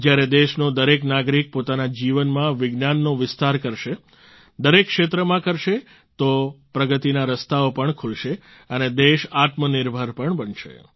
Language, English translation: Gujarati, When every citizen of the country will spread the spirit of science in his life and in every field, avenues of progress will also open up and the country will become selfreliant too